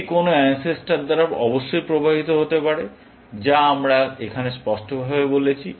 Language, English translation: Bengali, It can be induced by some ancestor, of course, which is what, we have said here, explicitly